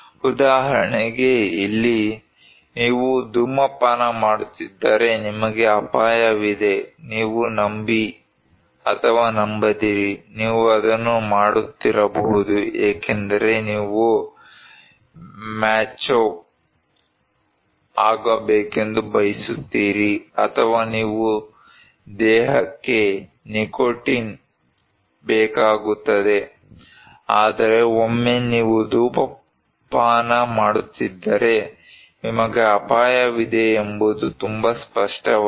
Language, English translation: Kannada, For example here, if you are smoking you are at risk, you believe or not you may be doing it because you want to be macho, or your body needs nicotine, but once you were smoking you are at risk that is very clear